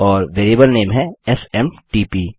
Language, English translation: Hindi, And the variable name is SMTP